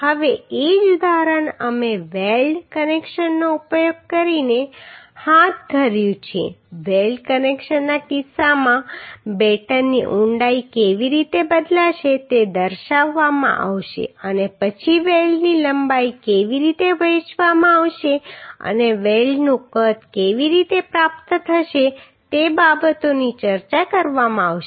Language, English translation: Gujarati, Now the same example we carried out using weld connections in case of weld connections how the batten depth is going to change that will be demonstrated and then how the weld length will be distributed and how the weld size will be obtained those things will be discussed through this example right